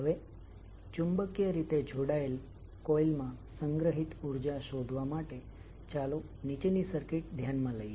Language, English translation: Gujarati, Now, to determine the energy stored in magnetically coupled coil, let us consider the following circuit